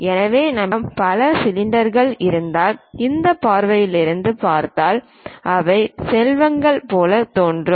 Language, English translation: Tamil, So, if we have multiple cylinders such kind of thing, if we are looking from this view they appear like rectangles